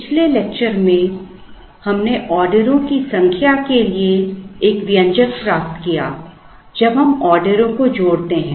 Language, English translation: Hindi, In the last lecture, we derived an expression for the number of orders n when we combine orders